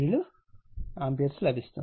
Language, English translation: Telugu, 87 degree ampere